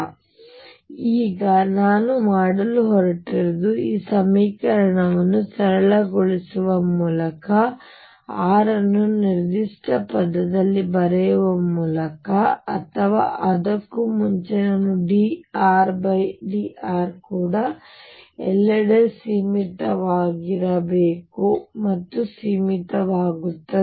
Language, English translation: Kannada, So, now we got we are going to do is simplify this equation by writing r in a certain term or before that I should also mention that d R over dr should also be finite everywhere and the finite